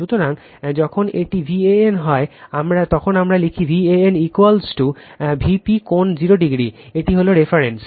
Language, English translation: Bengali, So, when it is V a n, we write V a n is equal to V p angle 0 degree this is reference